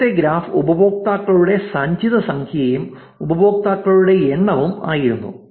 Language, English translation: Malayalam, The earlier graph was the cumulative number of users right, accumulated number of users